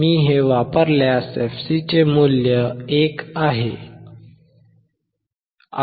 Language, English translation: Marathi, If I use this, value of fc is 1